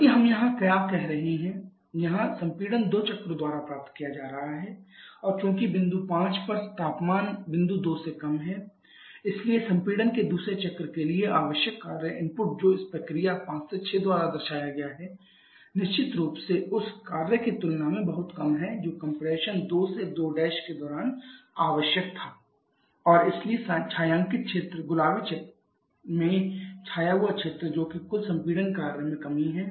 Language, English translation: Hindi, Rather what we are having here, here the compression is being achieved by two step steps and as the temperature at point 5 is lower than the temperature point 2o so the work input required for the second string of compression that is represented by this process 5 to 6 is definitely much lower than the walk that would have been required during the compression 2 to 2 prime and therefore the shaded area the area shaded in pink that is there is a decrease in the total compression work